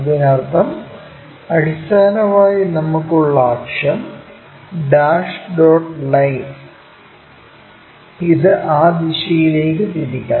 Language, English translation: Malayalam, That means, basically the axis what we are having, dash dot line this has to be rotated in that direction